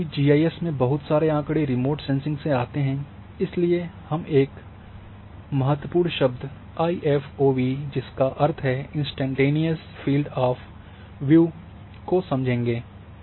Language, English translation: Hindi, Now, because lot of data in GIS is coming from remote sensing, so there are one important term here is that is the IFOV which is instantaneous field of view